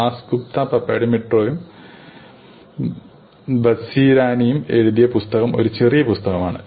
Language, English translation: Malayalam, The book by Dasgupta Papadimitriou and Vazirani is a slimmer book